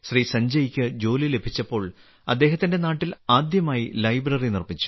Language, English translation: Malayalam, When Sanjay ji had started working, he had got the first library built at his native place